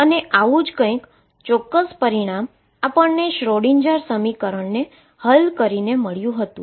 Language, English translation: Gujarati, Precisely the same answer as we got by solving Schrödinger equation